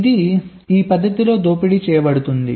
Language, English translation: Telugu, ok, this is exploited in this method